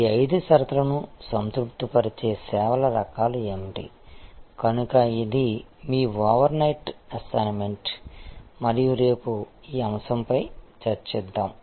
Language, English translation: Telugu, That what are the kinds of services, which satisfy these five conditions, so that is your overnight assignment and let us continue to discuss this topic tomorrow